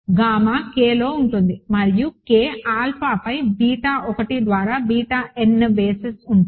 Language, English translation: Telugu, So, gamma is in K and K has a basis beta 1 through beta n over alpha